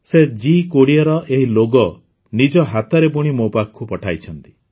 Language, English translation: Odia, He has sent me this G20 logo woven with his own hands